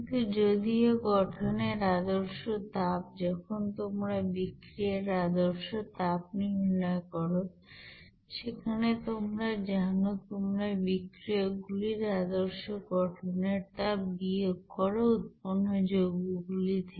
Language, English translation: Bengali, But whereas, the standard heat of reaction whenever you are calculating from the standard heat of formation there you are subtracting the you know standard heat of you know formation of that reactants from the you know product side